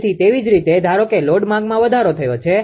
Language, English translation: Gujarati, So, similarly suppose suppose load demand has increased